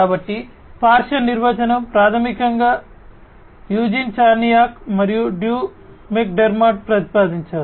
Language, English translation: Telugu, So, the lateral definition is basically proposed by Eugene Charniak and Drew McDermott